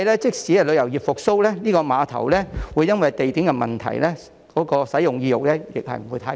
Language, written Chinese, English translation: Cantonese, 即使旅遊業復蘇，估計也會因為這個碼頭的地點問題而導致使用意欲不太高。, Even if the tourism industry recovers it is likely that the location of this pier will lead to low patronage